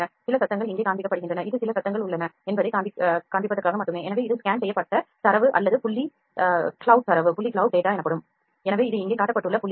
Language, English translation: Tamil, Some noises are being shown here this is only to show that there are certain noises are there, so this is the scanned data or point cloud data